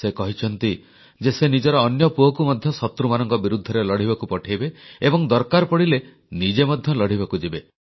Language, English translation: Odia, He has expressed the wish of sending his second son too, to take on the enemy; if need be, he himself would go and fight